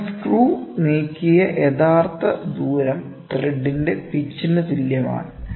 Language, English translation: Malayalam, Therefore, the actual distance moved by the screw is equal to the pitch of the thread